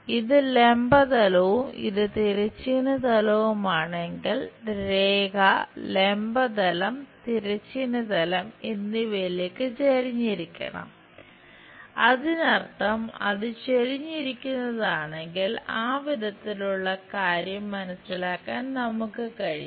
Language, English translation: Malayalam, If this is the vertical plane and this is the horizontal plane, line has to be inclined to both vertical plane and horizontal plane; that means, if it is inclined we will be in a position to sense something like in that way